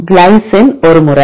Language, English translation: Tamil, Glycine one time